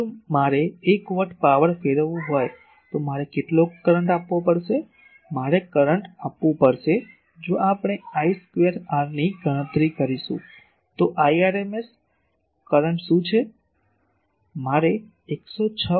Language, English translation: Gujarati, So, if I want to radiate 1 watt of power, how much current I will have to give the current, I will have to give if we calculate just by I square r so, what is the rms current, I will have to give 106